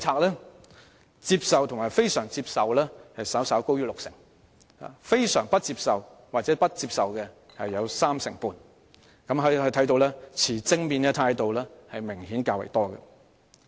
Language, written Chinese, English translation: Cantonese, 表示接受及非常接受的人士稍高於六成，而非常不接受及不接受的則佔三成半，可見持正面態度的人明顯較多。, Those who considered it acceptable and very acceptable accounted for a little more than 60 % whereas 35 % considered it very unacceptable and unacceptable showing that people who held a positive view were obviously in the majority